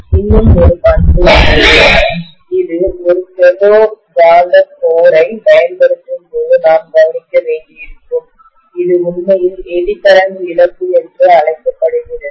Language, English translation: Tamil, There is one more property which probably we will need to look at when we use a ferromagnetic core which is actually known as Eddy current loss, okay